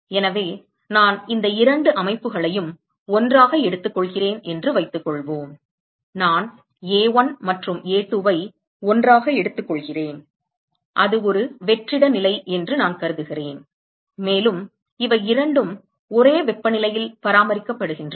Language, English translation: Tamil, So, supposing I take these two system together, supposing I take A1 and A2 together, and I assume that it is a vacuum condition, and both of these are maintained at same temperature, right